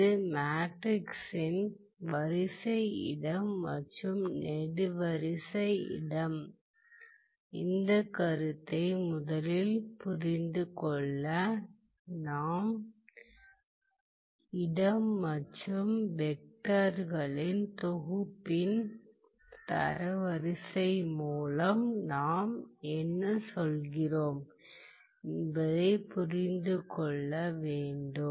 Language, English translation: Tamil, Now to first understand this concept of a row space and column space of a matrix, we have to understand what we mean by, what we mean by the space and what we mean by the rank of a set of vectors